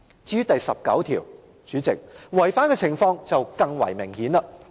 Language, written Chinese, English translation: Cantonese, 至於第十九條，代理主席，違反的程度更為明顯。, As regards Article 19 Deputy President the contravention is even more obvious